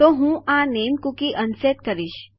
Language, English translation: Gujarati, So Ill unset this name cookie